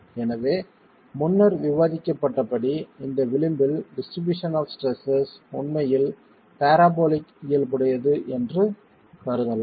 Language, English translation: Tamil, So we as discussed earlier it is possible to assume that the distribution of stresses here at this edge is really parabolic in nature